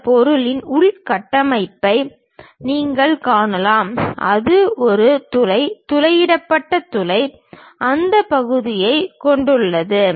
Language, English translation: Tamil, You can see the internal structure of this object, it is having a bore, drilled bore, having that portion